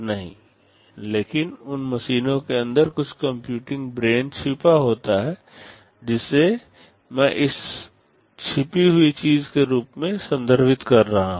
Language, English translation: Hindi, But inside those machines there is some computing brain hidden, that is what I am referring to as this hidden thing